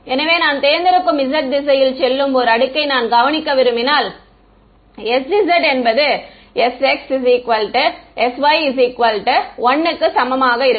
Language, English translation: Tamil, So, if I want to observe a layer that is going into the z direction I choose s z equal to whatever s x s y equal to 1 right